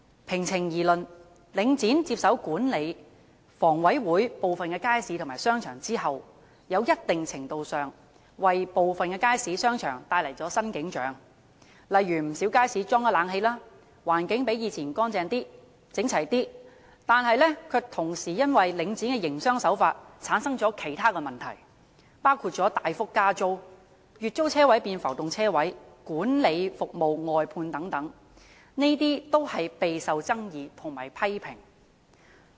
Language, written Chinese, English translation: Cantonese, 平情而論，領展接手管理房委會部分街市和商場後，在一定程度上為部分街市和商場帶來了新景象，例如不少街市加裝了冷氣，環境較以往乾淨及整齊，但卻同時因領展的營商手法而產生其他問題，包括大幅加租、月租車位變浮動車位及管理服務外判等，這些均是備受爭議和批評的。, To give the matter its fair deal after taking over the management of some of the markets and shopping arcades of HA Link REIT has revitalized them to a certain extent . For example air - conditioning systems have been installed in quite a number of markets and the environment has become cleaner and tidier than before . But at the same time the business practice of Link REIT has given rise to other problems including significant rent increases the replacement of monthly parking spaces with floating parking spaces and the outsourcing of management which have led to widespread controversies and criticisms